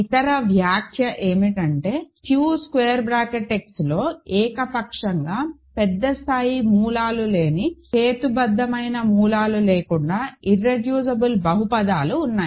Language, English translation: Telugu, The other remark is there are irreducible polynomials in Q X without roots rational roots of arbitrarily large degree